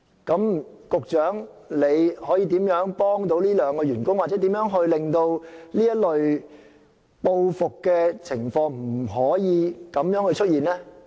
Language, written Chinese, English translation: Cantonese, 局長可以怎樣幫助這兩名員工，又或令這類報復情況不再出現？, What can be done by the Secretary to help these two employees or prevent any repeat of such vengeance?